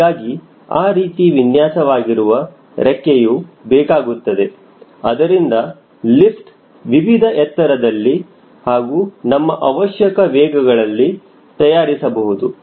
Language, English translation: Kannada, so i need to have a wing especially designed so that it can generate lift at different altitudes, a different speed, as per our requirements